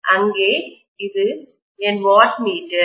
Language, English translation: Tamil, This is my wattmeter